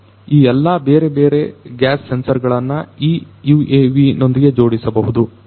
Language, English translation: Kannada, All these different gas sensors could be fitted to this UAV